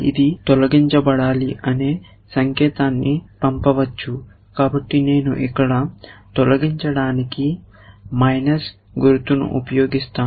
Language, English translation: Telugu, It might send a signal that this is to be deleted, so I will use minus sign for deletion here